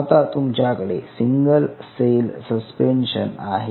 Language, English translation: Marathi, it made a single cell suspension